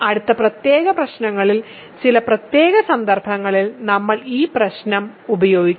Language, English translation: Malayalam, So, we will use this problem in some special cases in next set of problems